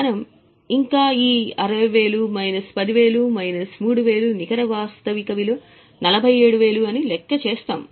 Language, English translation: Telugu, We would have still calculated this 60 minus 10 minus 3 net realizable value 47 but its purchase cost is 40